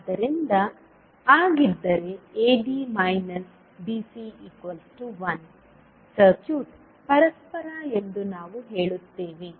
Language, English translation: Kannada, So, if AD minus BC is equal to 1, we will say that the circuit is reciprocal